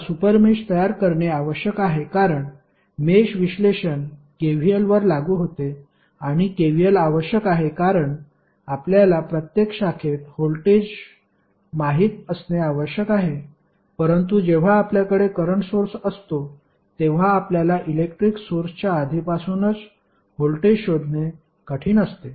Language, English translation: Marathi, Now, super mesh is required to be created because mesh analysis applies to KVL and the KVL requires that we should know the voltage across each branch but when we have the current source we it is difficult to stabilized the voltage across the current source in advance